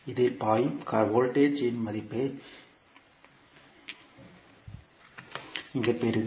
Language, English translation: Tamil, You will get the value of current flowing in this